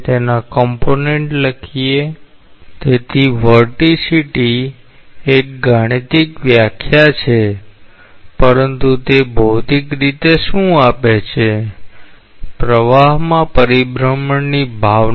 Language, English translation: Gujarati, So, vorticity is a mathematical definition, but what it gives physically; a sense of rotationality in a flow